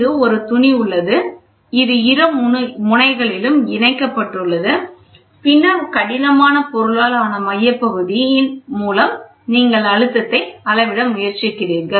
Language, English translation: Tamil, So, here is a fabric which is there, this is attached at both ends and then you have a centerpiece which is yeah a rigid piece with which you try to measure the pressure